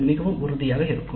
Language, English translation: Tamil, So that would be very helpful